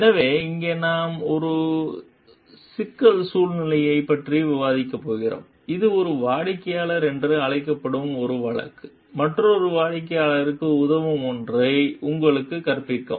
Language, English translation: Tamil, So, here we are going to discuss about a problem scenario which is where a case called one client teaches you something that would help another client